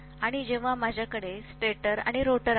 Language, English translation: Marathi, And when I have stator and rotor